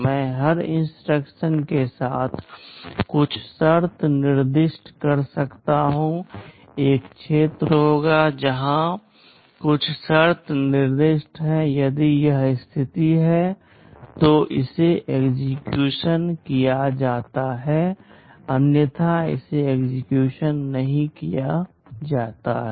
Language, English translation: Hindi, I can specify some condition along with every instruction, there will be a field where some condition is specified; if this condition holds, then it is executed; otherwise it is not executed